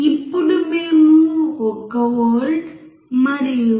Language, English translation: Telugu, Now, we are applying 1 volt and 0